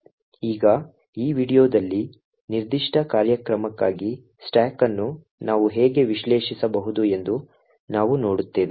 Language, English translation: Kannada, Now what we will see in this particular video is how we could actually analyse the stack for this particular program